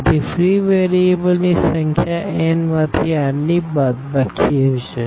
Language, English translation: Gujarati, So, number of free variables will be n minus r